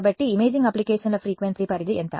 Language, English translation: Telugu, So, what is the frequency range for imaging applications